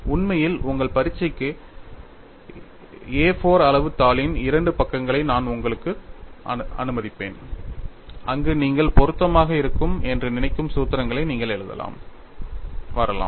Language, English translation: Tamil, In fact, for your examination, I would allow you two sides of an A 4 size sheets, where you could have the formulae you think that are relevant can be written and come